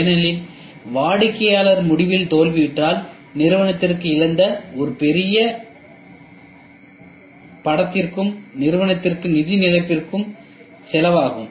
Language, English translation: Tamil, Because failing at the customer end is going to cost a huge image lost for the company as well as financial loss for the company